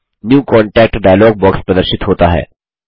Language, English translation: Hindi, The New Contact dialog box appears